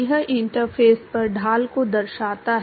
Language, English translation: Hindi, It reflects the gradient at the interface